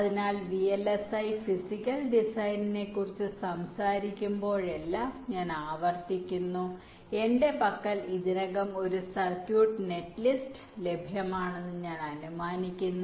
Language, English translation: Malayalam, so again, i repeat, whenever i talk about vlsi physical design, i assume that i already have a circuit netlist available with me